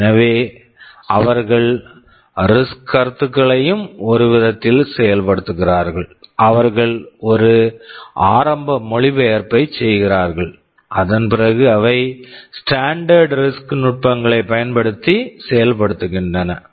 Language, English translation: Tamil, So, they also implement RISC concepts in some way, they make an initial translation after which they execute using standard RISC techniques, RISC instruction execution techniques right